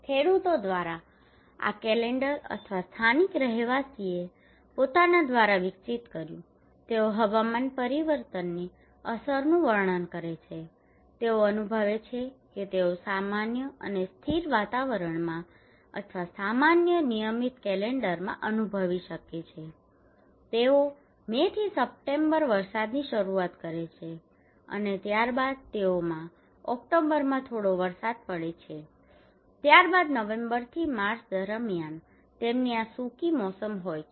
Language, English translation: Gujarati, This calendar were developed by the farmers or the local residents by themselves they are depicting, describing the impact of climate change they can sense they can feel so in normal and stable climate or usual regular calendar there is that they have some onset of rain from May to September and then they have slight rain in October and then they have this dry season from November to March